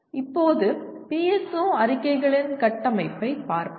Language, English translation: Tamil, Now let us look at the structure of PSO statements